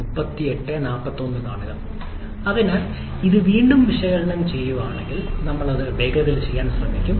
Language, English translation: Malayalam, So, if we analyze it again, so we shall be trying to do it quickly